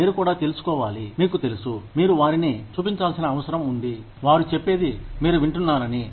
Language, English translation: Telugu, You also need to find out, you know, you need to convince them, that you are listening to, what they have to say